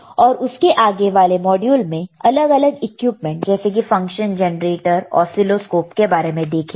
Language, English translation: Hindi, And then in following modules we will also see different equipment such as function generator, you will see oscilloscope, right